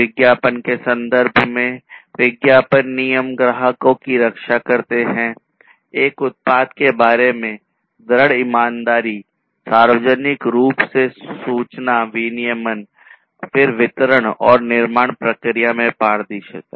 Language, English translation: Hindi, In terms of advertisement – advertisement regulations protect customers, firm honesty about a product, information regulation publicly, then transparency on distribution and manufacturing process